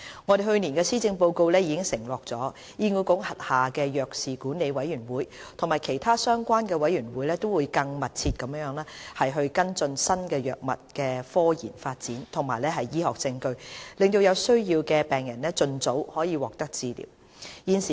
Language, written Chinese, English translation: Cantonese, 我們在去年的施政報告已承諾，醫管局轄下的藥事管理委員會及其他相關委員會會更密切地跟進新藥物的科研發展和醫學實證，讓有需要的病人盡早獲得治療。, As pledged in last years Policy Address the Drug Management Committee under HA and other committees concerned will more closely monitor the research developments and the accumulation of medical scientific evidence for new drugs so that needy patients could receive early treatment